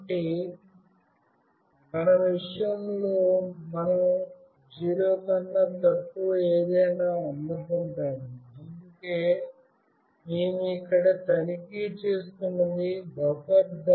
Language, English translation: Telugu, So, in our case we will receive something greater than 0, so that is why what we are checking here buffer